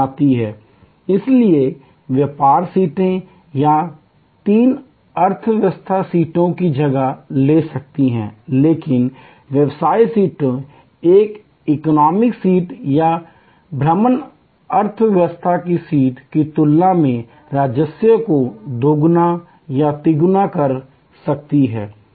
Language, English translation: Hindi, So, the business seats may take this space of two or three economy seats, but the business seats can fetch double or triple the revenue compare to an economy seat or an excursion economy seat